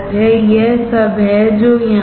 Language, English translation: Hindi, This is what it is here